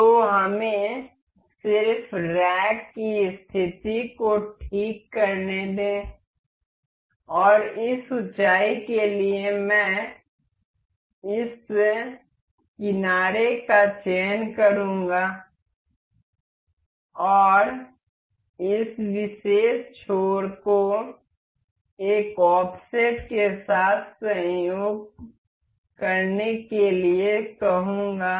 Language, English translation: Hindi, So, let us just fix the position of rack and for this height, I will select this edge and say this particular edge to coincide with an offset